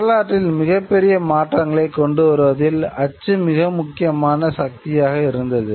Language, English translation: Tamil, Print was a very important force in bringing about monumental changes in history